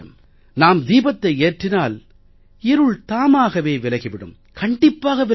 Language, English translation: Tamil, If we light a lamp, the darkness is sure to be dispelled